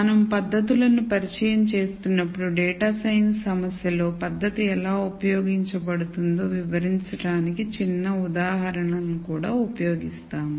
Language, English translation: Telugu, While we introduce the techniques we will also use smaller examples to illustrate how the technique might be used in a data science problem